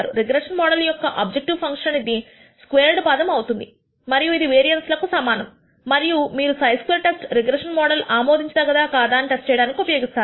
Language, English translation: Telugu, The objective function of a regression model is the sum squared term and is similar to a variance, and you can use it to this chi square test to test whether the integration model is acceptable or not